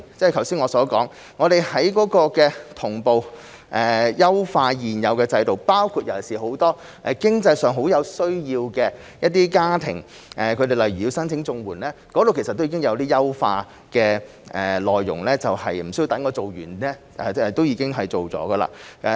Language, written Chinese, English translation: Cantonese, 正如我剛才所說，我們會同步優化現有制度，尤其是很多經濟上很有需要的家庭，例如他們申請綜援時，有些優化的內容無需等我們完成報告就已經推出。, As I have said just now we will improve the existing system at the same time particularly for many financially needy families . For example in respect of their CSSA applications certain improvements have already been made for them without having to wait for our completion of the report